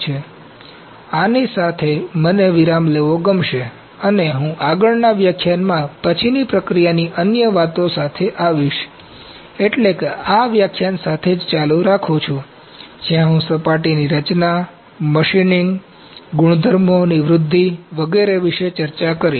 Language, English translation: Gujarati, So, with this I like to have a break and I will come up with the other post processing concerns in the next lecture, that is the continuation with this lecture only where I will discuss surface texturing, machining, enhancement of the properties etc